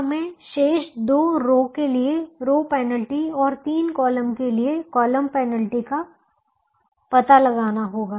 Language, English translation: Hindi, now we have to find out the row penalty for the remaining two rows and the column penalty for the three columns